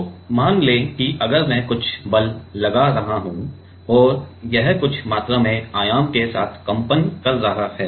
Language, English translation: Hindi, So, let us say if I am if I am applying some force and it is vibrating with some with some amount of amplitude